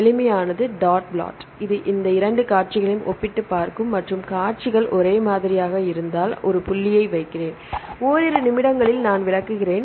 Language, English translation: Tamil, The simplest one is dot plot right this will compare these two sequences and if the sequences are the same, then we put a dot right I will explain in a couple of minutes right